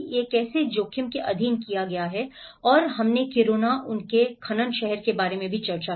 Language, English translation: Hindi, How it has been subjected to risk and we also discussed about Kiruna, their mining town